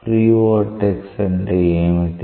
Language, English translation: Telugu, What is the free vortex